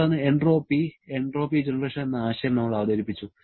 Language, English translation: Malayalam, Then, we introduced the concept of entropy and entropy generation